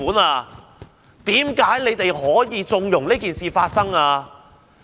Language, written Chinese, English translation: Cantonese, 為何政府可以縱容這件事發生呢？, Why would the Government allow this to happen?